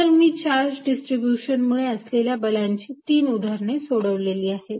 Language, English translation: Marathi, So, I have solved three examples simple examples of forces due to charge distribution